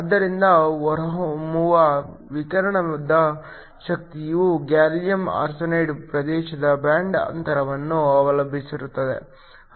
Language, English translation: Kannada, So, The energy of the radiation that comes out depends upon the band gap of the gallium arsenide region